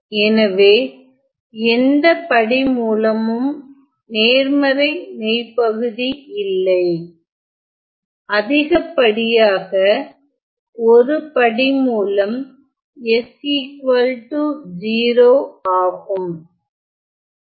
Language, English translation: Tamil, So, none of the roots will have positive real parts the most that it can have be that s 1 of the root is s equal to 0